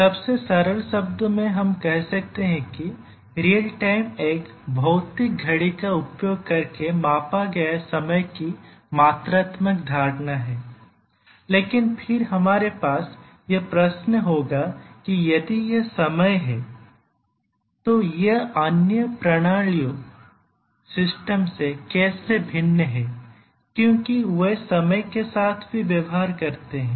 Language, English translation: Hindi, Actually in the simplest term we can say that real time is a quantitative notion of time measured using a physical clock, but then we will have the question that then this is time, so how is it different from other systems, they also deal with time